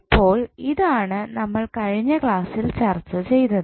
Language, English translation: Malayalam, First, let us recap what we discussed in the last class